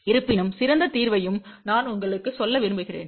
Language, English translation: Tamil, However, I want to also tell you the best possible solution